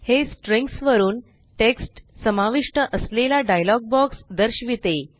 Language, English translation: Marathi, It shows a pop up dialog box containing text from the string